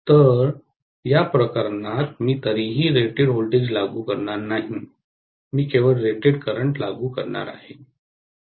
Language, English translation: Marathi, So, in this case I am not going to apply rated voltage anyway, I am going to apply only rated current